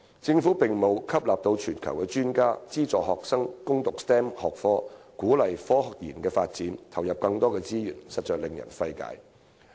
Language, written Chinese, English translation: Cantonese, 政府並沒有在吸納全球專家、資助學生攻讀 STEM 學科及鼓勵科研發展方面投入更多資源，實在令人費解。, The Government has not committed additional resources to attracting experts from around the world providing subsidies for students to study STEM subjects and encouraging the development of scientific research . This is really baffling